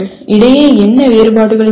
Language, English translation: Tamil, What differences exist between …